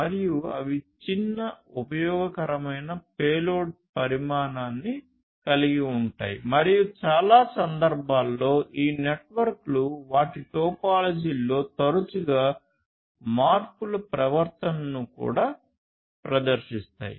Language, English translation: Telugu, And they have tiny useful payload size and in most cases these networks also exhibit the behavior of frequent changes in their topology